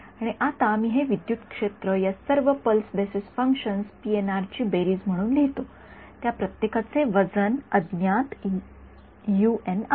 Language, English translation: Marathi, And, I write this electric field now as a summation over all of these pulse basis functions PNR each of them having an unknown weight u n right